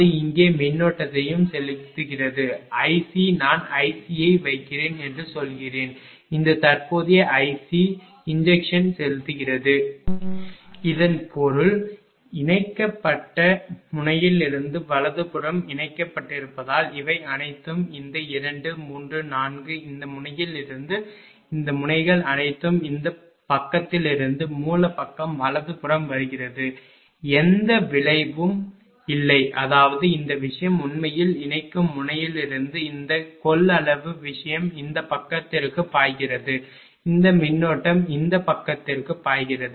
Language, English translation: Tamil, It is also injecting current here i C say I am just putting i C say this injecting current i C; that means, from the connected node right from the connected because all this things this 2 3 4 all this node from this point it is coming towards the source side right other side it is no effect is there no effect is; that means, this thing actually from connecting node this capacitive thing flowing to this side this current is flowing to this side right